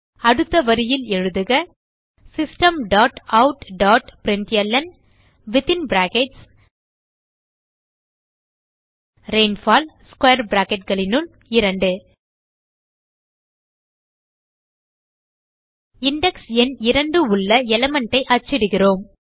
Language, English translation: Tamil, So on the Next line, type System dot out dot println rainfall in square brackets type 2 We are printing the element with the index number 2